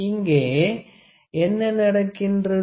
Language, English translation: Tamil, So, what is happening